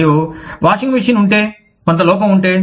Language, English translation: Telugu, And, if the washing machine, if there was some fault